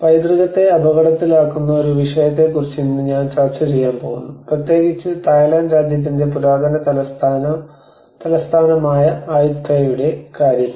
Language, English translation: Malayalam, Today I am going to discuss on a topic of heritage at risk, especially with the case of Ayutthaya which is the ancient capital of kingdom of Thailand